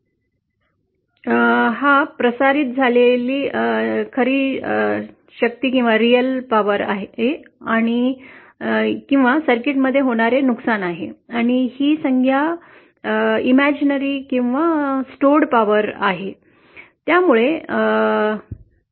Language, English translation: Marathi, This term is the real power transmitted or the loss happening in the circuit and this term is the imaginary power or stored power